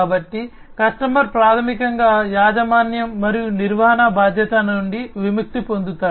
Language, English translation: Telugu, So, customer is basically relieved from the responsibility of ownership, and maintenance